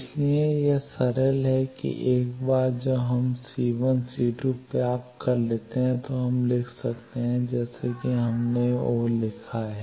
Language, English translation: Hindi, So, this is simple that once we get c1 and c2 we can write as we written o